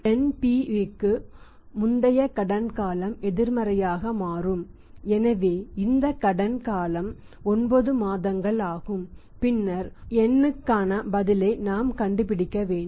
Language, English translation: Tamil, Credit period before NPV becomes negative so that time period is 9 months in this case and then we have to find out the answer for the N